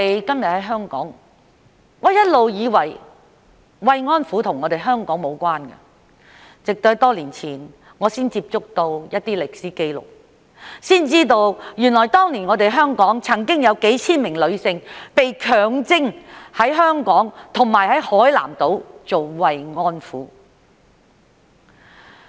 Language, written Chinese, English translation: Cantonese, 今天在香港，我一直以為慰安婦與香港無關，直至多年前我才接觸到一些歷史紀錄，知道原來當年香港曾經有數千名女性被強徵在香港及海南島做慰安婦。, In Hong Kong today I have never thought that we will have anything to do with comfort women so far . Yet a number of years ago I came across some historical records and learned that thousands of women were drafted by forced to serve as comfort women in Hong Kong and on Hainan Island